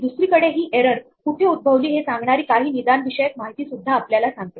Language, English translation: Marathi, Secondly, there is some diagnostic information telling us where this error occurs